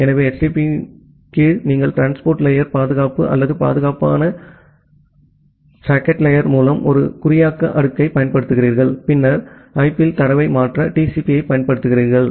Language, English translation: Tamil, So, under HTTP you apply a encryption layer through transport layer security or secure or secure socket layer and then you use TCP to transfer the data at IP